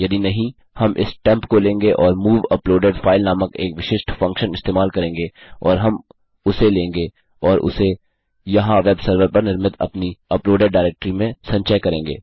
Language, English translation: Hindi, If not well take this temp and well use a specific function called move uploaded file and well take that and store it in our uploaded directory created on my web server here